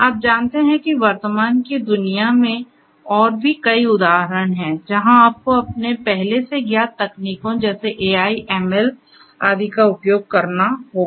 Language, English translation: Hindi, You know there are many more examples in the current day world, where you know you have to fall back on your previous you know previously known technologies such as AI, ML and so on